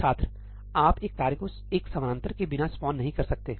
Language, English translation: Hindi, You cannot spawn a task without a parallel